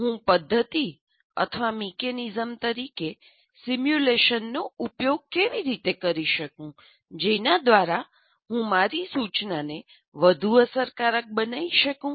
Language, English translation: Gujarati, How do I use the simulation as a method or a mechanism by which I can make my instruction more effective